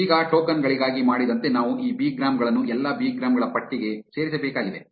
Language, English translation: Kannada, Now, as we did for tokens, we also need to append these bigrams to the all bigrams list